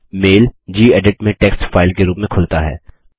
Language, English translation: Hindi, The mail opens in Gedit as a text file